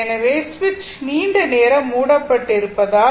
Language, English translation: Tamil, So, as switch is closed for long time